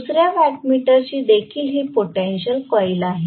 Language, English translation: Marathi, This is also the potential coil for the second watt meter